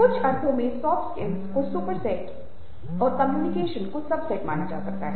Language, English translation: Hindi, in some sense, soft skills are can be considered as super set and communication a sub set of that set